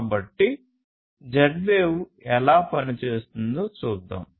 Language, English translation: Telugu, So, let us look at how Z wave works